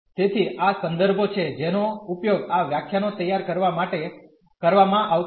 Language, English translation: Gujarati, So, these are the references we have used for preparing the lectures